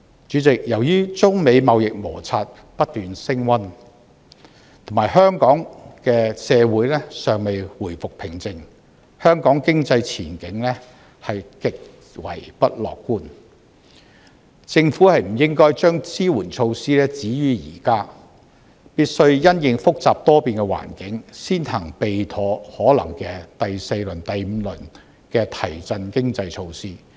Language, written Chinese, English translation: Cantonese, 主席，由於中美貿易摩擦不斷升溫，以及香港社會尚未回復平靜，香港經濟前景極為不樂觀，政府不應該將支援措施止於現在，必須因應複雜多變的環境，先行備妥可能的第四輪、第五輪的提振經濟措施。, Chairman with the China - United States trade conflict escalating and given that peace has not been restored to Hong Kong our economic outlook is far from promising . The Government should not stop its support measures here . It must take into consideration the complicated and changing situation and prepare in advance the fourth or possibly fifth round of economic stimulation measures